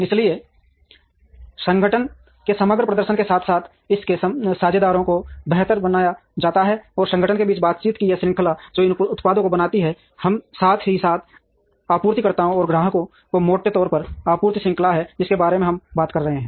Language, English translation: Hindi, So, that the overall performance of the organization, as well as its partners is made better, and this chain of interaction between the organization which makes these products, as well as the suppliers and customers is broadly the supply chain that we are talking about